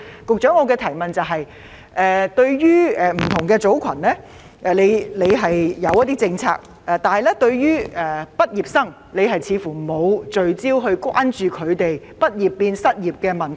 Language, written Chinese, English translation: Cantonese, 局長，雖然政府為不同組群訂立了相應政策，但對於畢業生，政府似乎沒有特別關注他們"畢業變失業"的問題。, Secretary although the Government has formulated policies for different groups of workforce it does not seem to care much about fresh graduates who are likely to become unemployed upon graduation